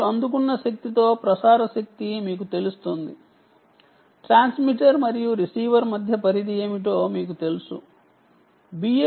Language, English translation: Telugu, you should be able to with the received power, and if you know the transmit power, you actually know what is the range between the transmitter and the receiver